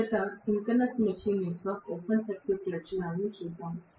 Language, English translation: Telugu, Let us try to first of all, look at the open circuit characteristics of a synchronous machine